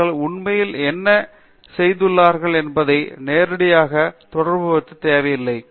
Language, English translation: Tamil, It need not be directly related to what they have actually done